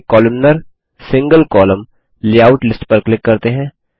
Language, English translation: Hindi, Let us click on the Columnar, single column layout list